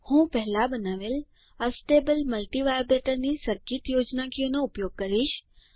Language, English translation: Gujarati, I will use the circuit schematic of Astable multivibrator which was created earlier